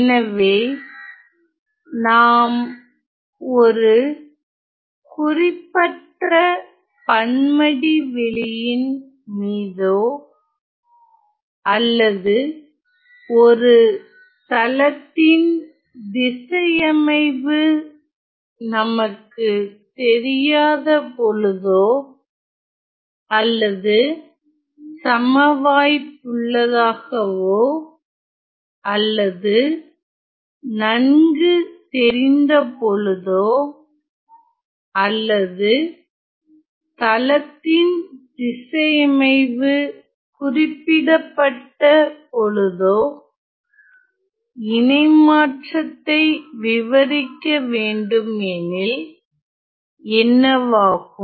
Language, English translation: Tamil, So, what happens if we were to describe a transform in a arbitrary manifold or a plane that we do not know where is the orientation or we have a random or well known or a specified you know orientation of that plane